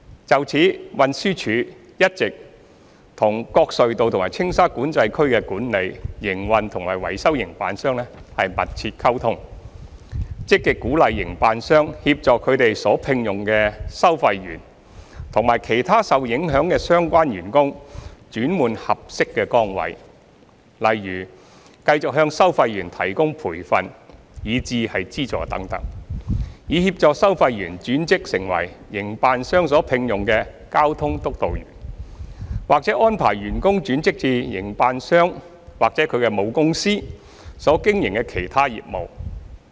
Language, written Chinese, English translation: Cantonese, 就此，運輸署一直與各隧道及青沙管制區的管理、營運和維修營辦商密切溝通，積極鼓勵營辦商協助他們所聘用的收費員及其他受影響的相關員工轉換合適的崗位，例如繼續向收費員提供培訓以至資助等，以協助收費員轉職成為營辦商所聘用的交通督導員，或安排員工轉職至營辦商或其母公司所經營的其他業務。, In this connection the Transport Department TD has all along maintained close liaison with the contractors responsible for the management operation and maintenance of the tunnels and TSCA and actively encouraged the Contractors to assist their toll collectors and other affected staff in taking up other suitable positions for instance by continuing to provide training and even subsidies to toll collectors for facilitating their transfer to become traffic officers employed by the Contractors or by arranging their staff to work in other businesses of the Contractors or their parent companies